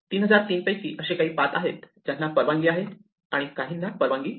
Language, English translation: Marathi, There are some paths which are allowed from the 3003 and some which are not